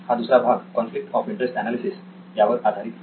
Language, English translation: Marathi, Okay, so that was conflict of interest analysis